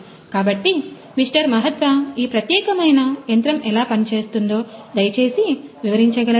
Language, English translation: Telugu, Mahathva could you please explain, how this particular machine works